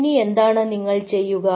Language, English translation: Malayalam, so then, what you do